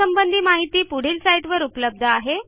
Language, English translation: Marathi, More information on the same is available from our website